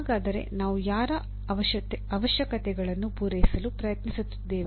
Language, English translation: Kannada, So whose requirements are we trying to meet